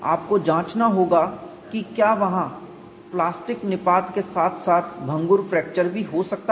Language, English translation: Hindi, You have to investigate whether that could be plastic collapse as well as brittle fracture possible